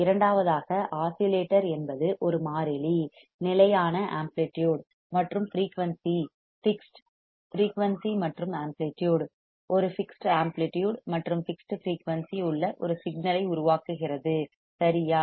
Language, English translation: Tamil, Second is that the oscillator is a circuit that generates a fixed a fixed amplitude and frequency fixed, amplitude of frequency, generates a signal with a fixed amplitude and frequency right